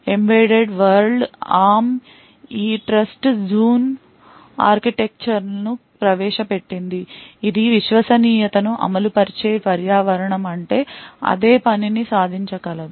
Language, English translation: Telugu, In the embedded world arm has introduced this trust zoon architecture which is stands for Trusted Execution Environment which could achieve the same thing